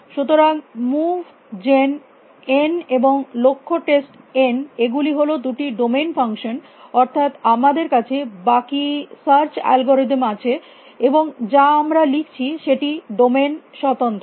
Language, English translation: Bengali, So, move gen n, and goal test n these are the two domain functions that we have the rest of the search algorithm that we are writing is independent of a domain